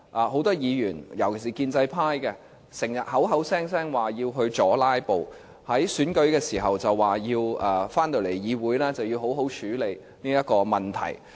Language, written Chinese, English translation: Cantonese, 很多議員，尤其是建制派，時常聲稱要阻"拉布"，在選舉時說返回議會時要好好處理這個問題。, Many Members especially those from the pro - establishment camp often claim that there is a need to combat filibustering . They campaigns during the election that they will properly handle this problem when they return to the legislature